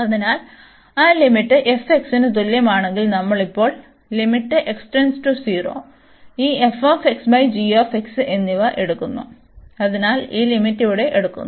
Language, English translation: Malayalam, So, if we take that limit f x is equal to so we are taking now the limit as x approaching to 0, and this f x over g x, so taking this limit here